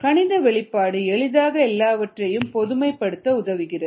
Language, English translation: Tamil, mathematical expression always generalizes things